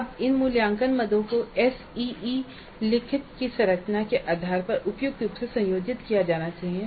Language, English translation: Hindi, Now these assessment items must be combined suitably based on the structure of the SEE instrument